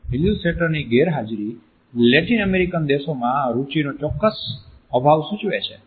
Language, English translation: Gujarati, The absence of illustrators indicates a certain lack of interest in Latin American countries